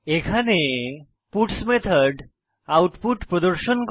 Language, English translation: Bengali, The puts method will display the output